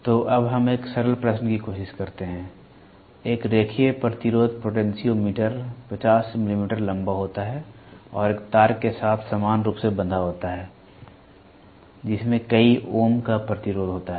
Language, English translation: Hindi, So, now let us try one more simple question; a linear resistance potentiometer is 50 millimeter long and is uniformly wound with a wire having a resistance of so many ohms